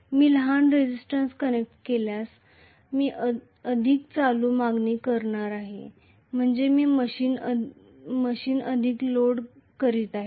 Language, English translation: Marathi, If I am connecting a larger resistance I am going to demand only a smaller current so larger resistance means loading less